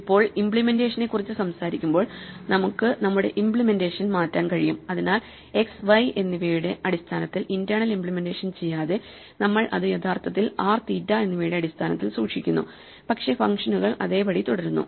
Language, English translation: Malayalam, Now speaking of changing implementation, we could change our implementation, so that we do not keep the internal representation in terms of x and y, we actually keep it in terms of r and theta, but the functions remain the same